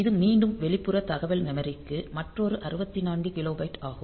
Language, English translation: Tamil, So, it is again another 64 kilobyte of external data memory